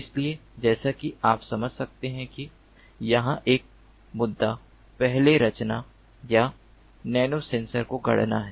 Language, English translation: Hindi, so, as you can understand, one issue over here is to first design or fabricate nano sensors